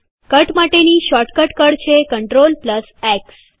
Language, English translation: Gujarati, The shortcut key to cut is CTRL+X